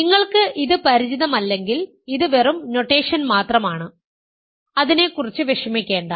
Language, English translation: Malayalam, This is just notation if you are not familiar with it, do not worry about it